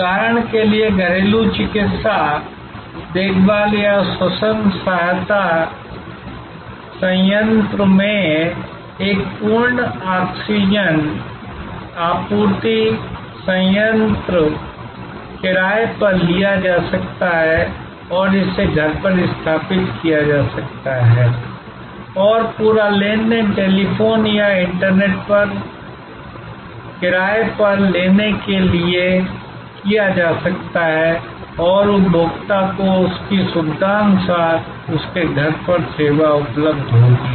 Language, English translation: Hindi, Like for example, at home medical care or a respiratory assistance plant, a full oxygen supply plant can be taken on rent and installed at home and the whole transaction can be done are for renting over telephone or over the internet and the service will be available to the consumer at his or her home at his or her convenience